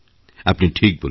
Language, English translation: Bengali, What you say is right